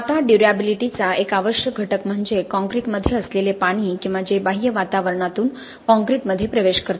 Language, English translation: Marathi, Now one essential component of durability is the water that is present in concrete or which penetrates concrete from the external environment